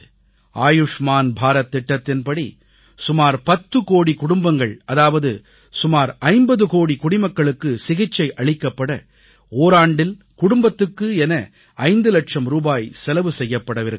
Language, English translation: Tamil, Under 'Ayushman Bharat Yojana ', the Government of India and insurance companies will jointly provide 5 lakh repees for treatment to about 10 crore families or say 50 crore citizens per year